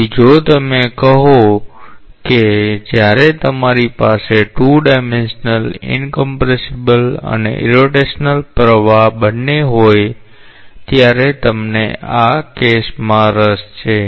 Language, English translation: Gujarati, So, if you say that you are interested about this case when you have both 2 dimensional incompressible and irrotational flow